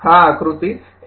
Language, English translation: Gujarati, So, table 1